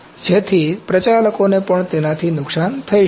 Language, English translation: Gujarati, So, the operators can also be hurt with that